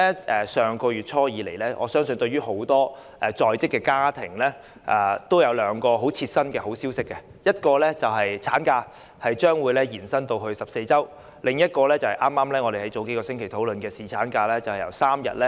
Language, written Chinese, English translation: Cantonese, 自上月初以來，我相信很多在職家庭也知悉兩項切身的好消息，其一是法定產假將延長至14周，其二是我們數星期前討論的把侍產假由3天增至5天。, I believe that since the beginning of last month many working families have also learned two pieces of good news . One is the extension of the statutory maternity leave to 14 weeks and the other is the increase of paternity leave from three days to five days which we discussed a few weeks ago